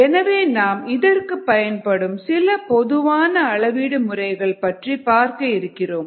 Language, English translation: Tamil, we would look at some of the common measurement methods that are used for these